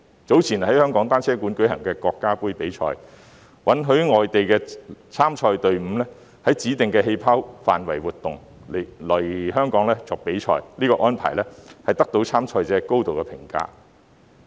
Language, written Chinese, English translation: Cantonese, 早前在香港單車館舉行的國家盃比賽，允許外地參賽隊伍在指定的"氣泡"範圍活動，來港比賽，這項安排得到參賽者高度評價。, In the Nations Cup held earlier in the Hong Kong Velodrome foreign teams were allowed to travel within the specified activity areas and compete in Hong Kong under a bubble . This arrangement was highly appreciated by the competitors